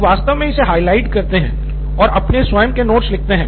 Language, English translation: Hindi, People actually highlight it and write their own notes